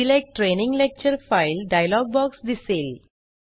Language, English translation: Marathi, The Select Training Lecture File dialogue appears